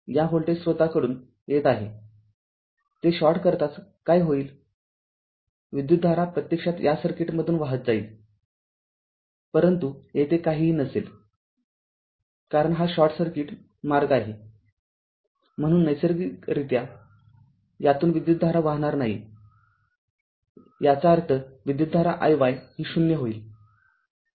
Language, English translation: Marathi, Coming from this voltage source, ah as soon as you short it, so what will happen the current actually ah will flow through this circui[t] will flow through this circuit, but there will be nothing here, because it is a short circuit path, so naturally current will not flow through this, that means, your i y will become 0 right